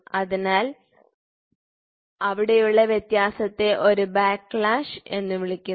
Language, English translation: Malayalam, So, the difference whatever there is called a backlash